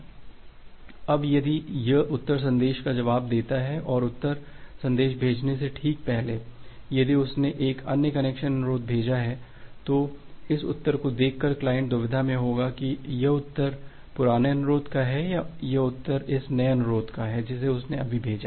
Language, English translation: Hindi, Now, if it replies the reply message and just before sending, the reply message if it has sent another connection request, then by looking into this reply the client will be in a dilemma up whether this reply is the reply corresponds to the old request or it is the reply corresponds to this new request that it has just sent out